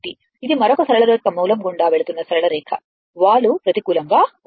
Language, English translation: Telugu, This a straight another straight line passing through the origin the slope is negative right